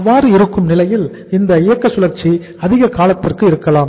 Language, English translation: Tamil, In that case this operating cycle maybe maybe of the more duration